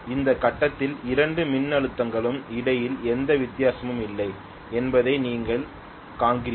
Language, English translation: Tamil, You see that at this point there is no difference at all between the two voltages